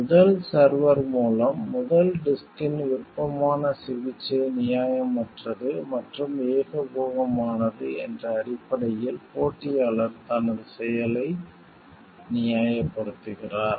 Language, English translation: Tamil, Competitor justifies its action on the grounds that the favored treatment of the first disk, by first server is unfair and monopolistic